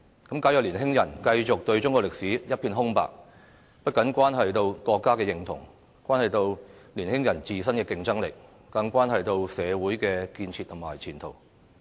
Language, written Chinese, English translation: Cantonese, 假如年輕人繼續對中國歷史一片空白，不僅關係到國家認同，關係到年輕人自身的競爭力，更關係到社會的建設和前途。, If young people continue to know nothing about Chinese history not only their sense of national identity will be affected but also their competitive edges as well as the development and future of society